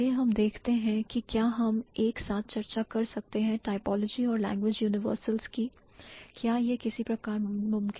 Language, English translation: Hindi, Let's see whether we can keep or we can discuss typology and language universals together